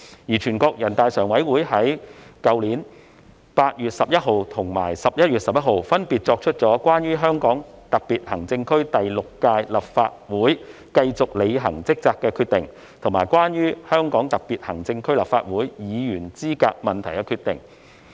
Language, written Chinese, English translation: Cantonese, 而全國人大常委會在去年8月11日和11月11日，分別作出《關於香港特別行政區第六屆立法會繼續履行職責的決定》及《關於香港特別行政區立法會議員資格問題的決定》。, On 11 August and 11 November last year NPCSC made the Decision on the Continuing Discharge of Duties by the Sixth Term Legislative Council of the Hong Kong Special Administrative Region and the Decision on Issues Relating to the Qualification of the Members of the Legislative Council of the Hong Kong Special Administrative Region respectively